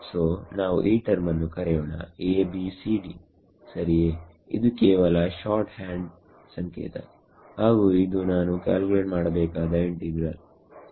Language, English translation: Kannada, So, let us call this term say a b c d ok; just short hand notation and this is the integral that I want to calculate ok